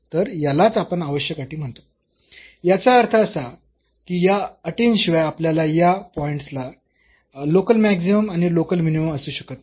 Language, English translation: Marathi, So, this is what we are calling necessary conditions; that means, without these conditions we cannot have the local maximum and local minimum at this point